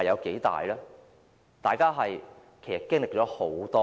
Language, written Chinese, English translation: Cantonese, 其實，大家也經歷了很多次。, Indeed we have all experienced this regret many times before